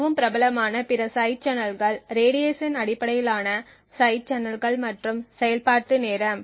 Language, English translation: Tamil, Other side channels which are very popular are radiation based side channels as well as execution time